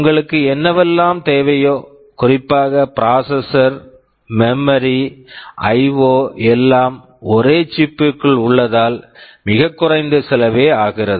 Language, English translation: Tamil, Whatever you need, processor, memory, IO everything is inside a single chip and therefore, it is very low cost